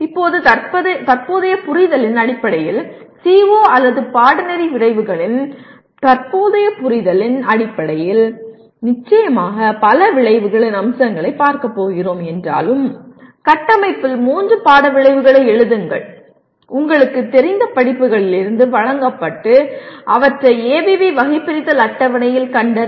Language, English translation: Tamil, Now, based on the current understanding, though we are going to look at many more features of course outcomes, based on the present understanding of the CO or course outcome, write three course outcomes in the structure presented from the courses you are familiar with and locate them in ABV taxonomy table